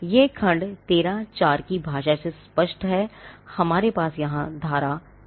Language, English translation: Hindi, Now, this is clear from the language of section 13, now we have section 13 here